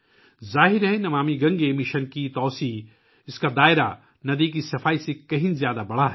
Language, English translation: Urdu, Obviously, the spread of the 'Namami Gange' mission, its scope, has increased much more than the cleaning of the river